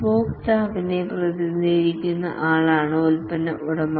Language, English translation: Malayalam, The product owner is the one who represents the customer